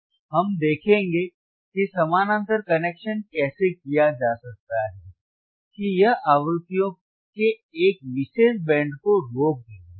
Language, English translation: Hindi, We will see how the parallel connection can be done right, the name itself that it will stop a particular band of frequencies